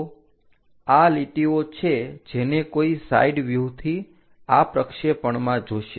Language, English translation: Gujarati, So, these are the lines what one will see in this projection from the side views